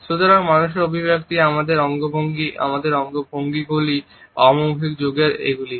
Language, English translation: Bengali, So, facial expressions, our gestures, our postures these aspects of nonverbal communication